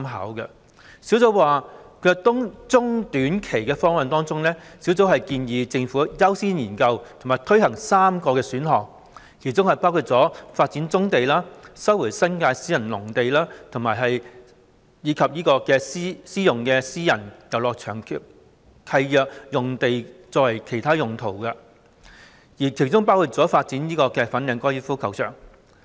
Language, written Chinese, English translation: Cantonese, 專責小組建議在短中期方案方面，政府應優先研究和推行3個選項，包括：發展棕地、收回新界私人農地及利用私人遊樂場契約用地作其他用途，包括發展粉嶺高爾夫球場。, On short - term and medium - term proposals the Task Force recommends that the Government should accord priority to the study and implementation of three options including the development of brownfield sites the resumption of private agricultural lands in the New Territories and using the sites for Private Recreational Leases for other purposes including developing the Fanling Golf Course